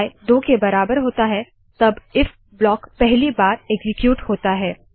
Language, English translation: Hindi, When i is equal to 2, the if block is executed for the first time